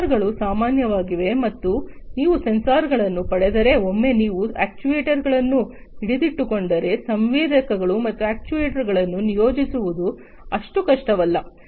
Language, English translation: Kannada, Sensors are common, once you get the sensors, once you get hold of the actuators, it is not so difficult to deploy the sensors and actuators